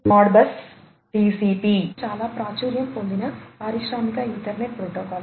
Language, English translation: Telugu, Modbus TCP is a very popular industrial Ethernet protocol